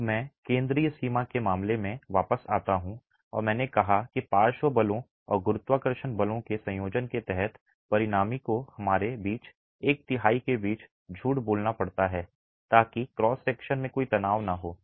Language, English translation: Hindi, Now I come back to this central limiting case and I said that the under a combination of lateral forces and gravity forces the resultant has to lie within the middle one third for us to be in the limiting case of no tension in the cross section